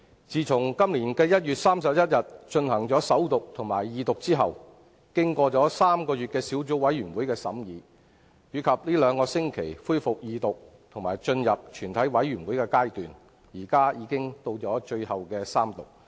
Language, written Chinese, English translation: Cantonese, 自從今年1月31日，進行首讀及二讀後，《條例草案》經過3個月的法案委員會審議，以及這兩個星期恢復二讀及進入全體委員會階段，現在已到了最後的三讀階段。, After its First and Second Reading on 31 January the Bill has undergone three months of scrutiny by the bills committee and then two weeks of resumed Second Reading debate and Committee stage scrutiny before coming finally to the Third Reading we are in now